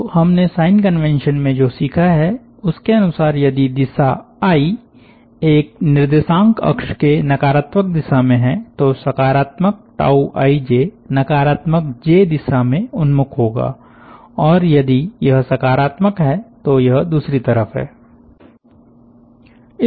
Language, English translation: Hindi, so what we have learnt as the sign convention is: if the direction i is along the negative of one of the coordinate axis, then the tau i j positive sign will be oriented along the negative j direction and if it is positive it is the other way